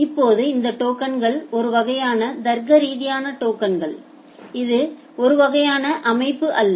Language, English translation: Tamil, Now these tokens are kind of logical token, it is not a kind of physical entity